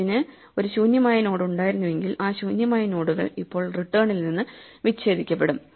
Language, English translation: Malayalam, If it had an empty node hanging of it those empty nodes are now disconnected from return